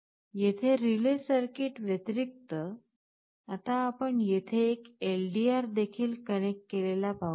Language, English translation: Marathi, Here in addition to the relay circuit, now you can see we also have a LDR connected out here